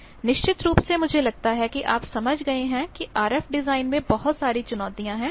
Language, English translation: Hindi, So, definitely I think you have understood that there are lot of challenges in the RF design